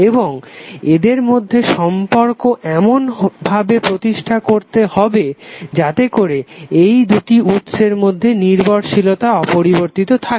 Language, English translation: Bengali, And the relationship these two should be stabilize in such a way that the dependency of these sources is intact